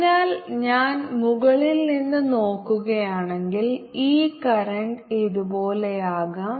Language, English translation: Malayalam, so if i look at from the top, this current may be going like this